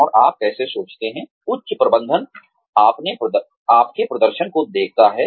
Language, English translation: Hindi, And, how do you think, higher management sees your performance